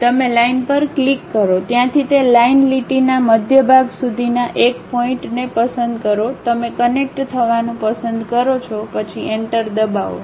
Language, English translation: Gujarati, You click the Line, pick one of the point from there to midpoint of that line, you would like to connect; then press Enter